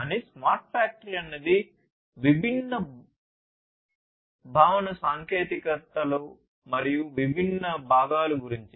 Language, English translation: Telugu, But smart factory is more of a concept there are different building technologies different components of it